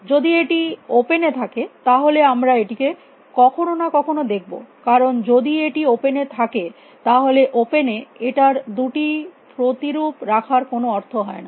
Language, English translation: Bengali, If it is opened we will see it sometime because, it is an open anywhere no point keeping two copies of it in the open